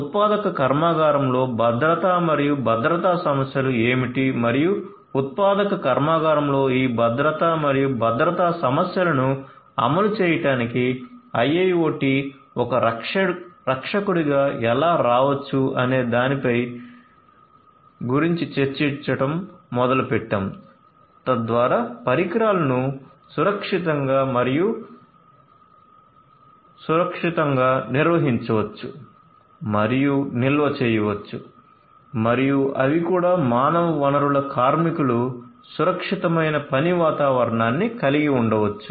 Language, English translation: Telugu, I started discussing about you know what are the security and safety issues in a manufacturing plant and how IIoT can come as a rescuer for you know for implementing these safety and security issues in a manufacturing plant so that the devices can be safely and securely managed and stored and also they the human resources the workers could also be having a safe working environment a secured working environment